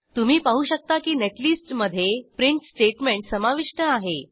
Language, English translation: Marathi, You can see that we have included the print statements in the netlist